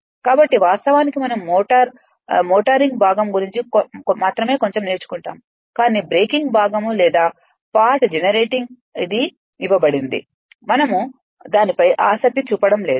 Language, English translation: Telugu, So, actually we learn a little bit only about motoring part breaking part or generating part, but it is given, but we will not we are not interested into that